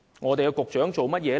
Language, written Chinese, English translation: Cantonese, 我們的局長做了甚麼？, What did our Secretary do?